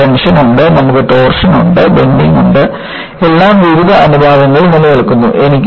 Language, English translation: Malayalam, You have tension, you have torsion, bending, all exists together with various proportions